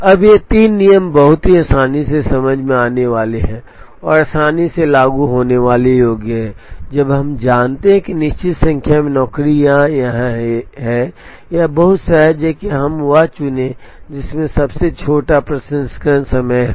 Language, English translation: Hindi, Now, these three rules are very common easily understandable, and easily implementable when we know that certain number of jobs are here, it is very intuitive that we choose the one which has the smallest processing time